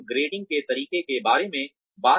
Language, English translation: Hindi, We were talking about the grading methods